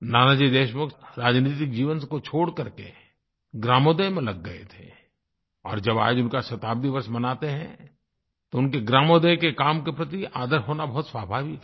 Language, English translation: Hindi, Nanaji Deshmukh left politics and joined the Gramodaya Movement and while celebrating his Centenary year, it is but natural to honour his contribution towards Gramodaya